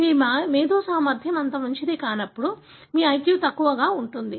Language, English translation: Telugu, So, wherein your intellectual ability is not that good, your IQ is low